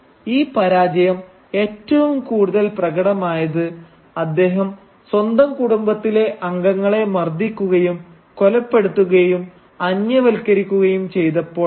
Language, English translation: Malayalam, And this failure is most evident in the way he beats, kills and alienates members of his own family